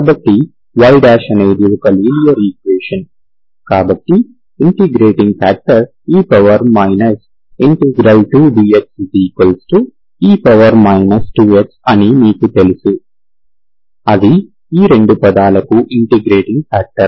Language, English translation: Telugu, So for y – is a linear equation, so you know that integrating factor is e power integral p, p is here 2 dx